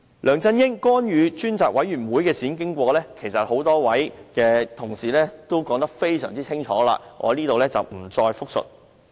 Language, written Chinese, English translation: Cantonese, 梁振英干預專責委員會的事件經過，多位同事已經說得非常清楚，我在此不再複述。, Regarding the incident concerning LEUNG Chun - yings interference with the Select Committee some Honourable colleagues have already given a clear account of the details and I will not repeat the same here